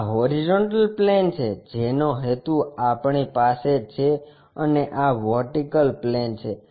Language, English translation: Gujarati, This is the horizontal plane, what we are intended for and this is the vertical plane